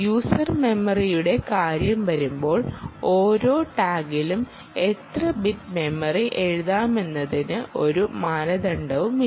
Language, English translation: Malayalam, ok, when it comes to user memory, there is no standard in how many bits of memory are writable on each tag